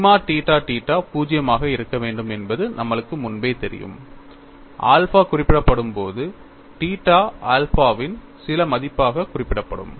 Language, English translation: Tamil, And, we already known sigma theta theta has to be 0, when alpha is specified, when theta is specified as some value of alpha